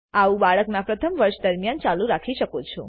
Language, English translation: Gujarati, This can continue during the first year of the baby